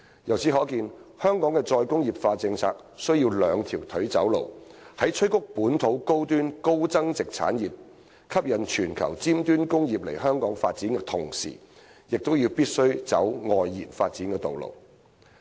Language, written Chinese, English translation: Cantonese, 由此可見，香港的"再工業化"政策須"兩條腿走路"，在催谷本土高端、高增值產業，吸引全球尖端工業來港發展的同時，亦必須走"外延發展"的道路。, From this we can see that Hong Kong must adopt a two - pronged approach to implement its policy on re - industrialization in addition to boosting the growth of local high - end high value - added industries and attracting advanced industries from around the globe to Hong Kong for development it must pursue external development as well